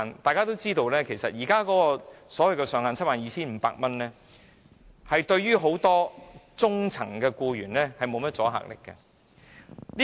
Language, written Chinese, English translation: Cantonese, 大家都知道，《條例草案》現時所訂的 72,500 元上限，對於很多中層僱員無甚保障。, As we all know the maximum fine of 72,500 proposed in the Bill is far from sufficient to protect many middle - level employees